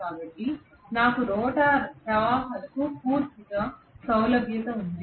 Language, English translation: Telugu, So I have complete access to the rotor currents